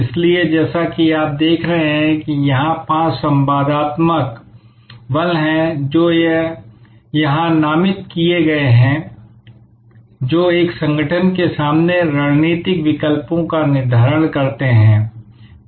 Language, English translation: Hindi, So, as you see here there are five interactive forces which are named here, which determine the strategic alternatives facing an organization